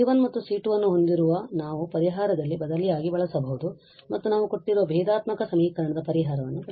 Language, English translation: Kannada, So, having C 1 and C 2 we can just substitute in that solution and we will get the solution of the given differential equation